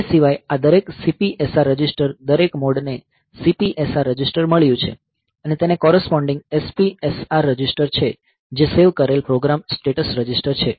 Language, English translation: Gujarati, Apart from that, so each of this CPSR registers every mode has got the CPSR register and there is a corresponding SPSR register which is saved program status register